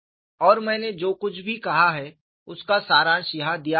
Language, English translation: Hindi, And whatever I have said is summarized here